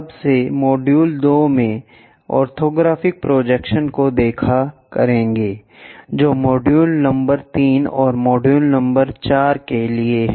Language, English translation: Hindi, From now onwards, orthographic projections in 2 modules we will cover, that is for module number 3 and module number 4